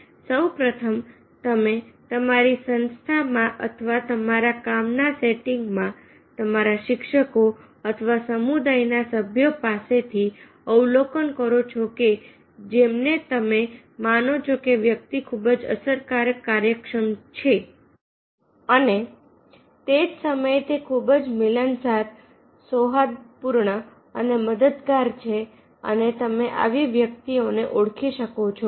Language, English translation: Gujarati, first stage: you observe in your organization or in your work setting, or from your seniors, or from teacher or from the community members whom you consider that the person is very effective, efficient and at the same time he is very sociable, cordial and helpful, and you can identify such types of persons